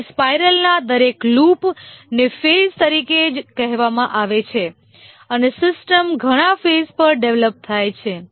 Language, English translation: Gujarati, Here each loop of the spiral is called as a phase and the system gets developed over many phases